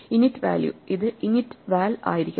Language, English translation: Malayalam, The init value, this should be init val